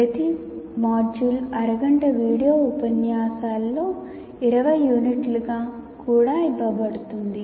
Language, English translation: Telugu, Each module is also offered as 20 units of about half hour video lectures